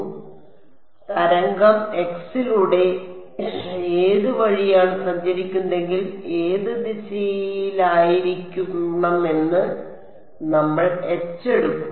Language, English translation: Malayalam, So, which way if the wave is travelling along x, we will take H to be along which direction